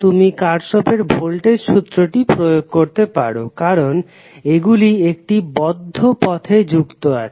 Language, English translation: Bengali, You can apply Kirchhoff’s voltage law, because it is, these are connected in loop